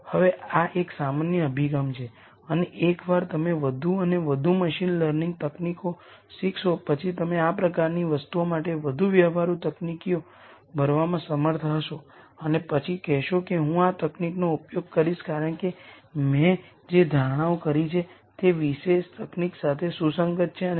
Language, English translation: Gujarati, Now this is a generic approach and once you learn more and more machine learning techniques you will be able to fill in more sophisticated techniques for things like this and then say I am going to use this technique because the assumptions that I have made are consistent with that particular technique and so on